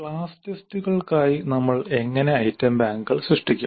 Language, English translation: Malayalam, Then the class tests, how do we create item banks for the class test